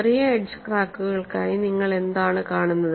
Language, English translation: Malayalam, For small edge cracks, what is it that you see